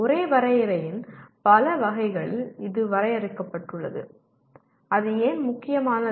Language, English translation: Tamil, This has been defined in several variants of the same definition and why is it important